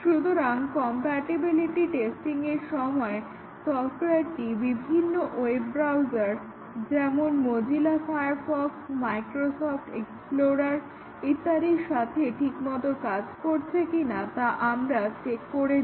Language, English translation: Bengali, So, during compatibility testing we check whether the software works with various web browsers such as Mozilla Firefox, the Microsoft Explorer and so on